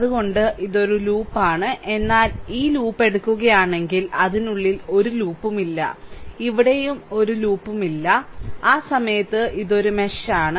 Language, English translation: Malayalam, So, it is a loop, but if you take this loop, there is no loop within it, here also there is no loop within it, at that time, we call mesh, right